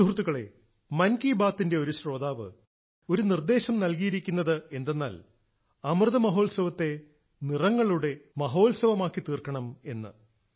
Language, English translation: Malayalam, similarly a listener of "Mann Ki Baat" has suggested that Amrit Mahotsav should be connected to the art of Rangoli too